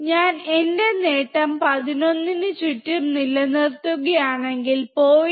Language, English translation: Malayalam, If I keep my gain around 11, then 0